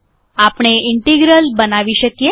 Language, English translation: Gujarati, We can create integral